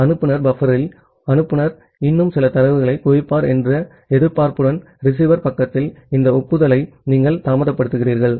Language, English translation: Tamil, And you are delaying this acknowledgement at the receiver side with the expectation that the sender will accumulate some more data at the sender buffer